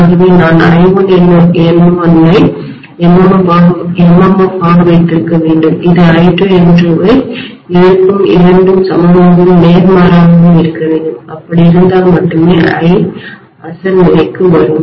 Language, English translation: Tamil, So I have to have I1 N1 as the MMF which will oppose I2N2 both have to be equal but opposite only then I will come back to the original state, right